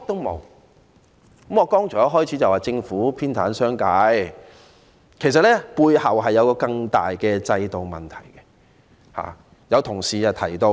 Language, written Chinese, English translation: Cantonese, 我剛才開始發言時指政府偏袒商界，其實背後涉及更大的制度問題。, In the earlier part of my speech I said that the Government favoured the business sector . In fact this relates to the bigger underlying problem